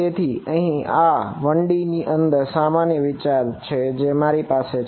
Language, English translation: Gujarati, So, this is the basic the same idea here in 1D which I had